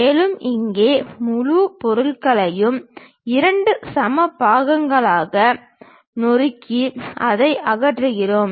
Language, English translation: Tamil, And, here the entire object we are slicing it into two equal parts and remove it